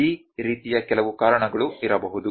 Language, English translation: Kannada, There might be certain reasons like this